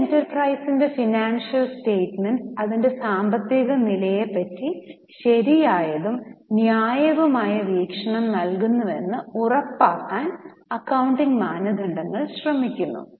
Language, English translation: Malayalam, Now, accounting standards seek to ensure that financial statements of an enterprise give a true and fair view of its financial position and working results